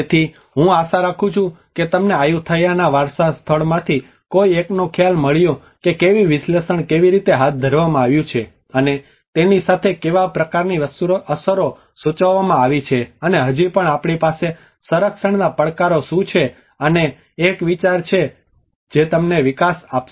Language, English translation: Gujarati, So I hope you got an idea of one of the heritage site of Ayutthaya how the analysis has been carried out and with that what kind of implications has been framed out and still what are the challenges we have in conservation and the development this will give you an idea